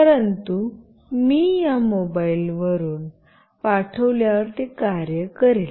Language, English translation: Marathi, But, when I sent from this mobile phone, it will work